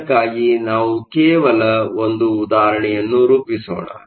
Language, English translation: Kannada, Let us just work out an example for this